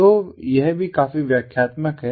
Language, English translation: Hindi, so this is also quite explanatory